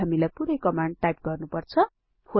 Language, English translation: Nepali, Do we have to type the entire command again